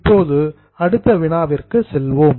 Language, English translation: Tamil, Now let us go to the next one